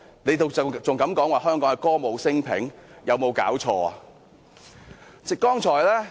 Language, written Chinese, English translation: Cantonese, 政府還敢說香港歌舞昇平，有沒有搞錯？, How dare the Government say that we should celebrate the peace and prosperity of Hong Kong?